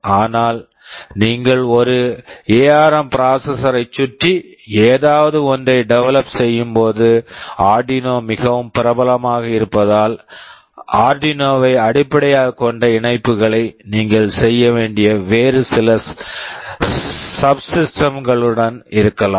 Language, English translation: Tamil, But, because Arduino is so popular when you are developing something around an ARM processor, it may so happen there may be some other subsystems with which you have to make connections that are based on Arduino